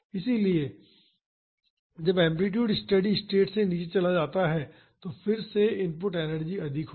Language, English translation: Hindi, So, when the amplitude goes below the steady state again the input energy will be more